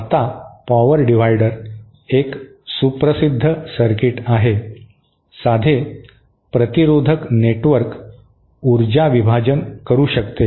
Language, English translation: Marathi, Now, power divider is a well known circuit, simple resistive network can provide power division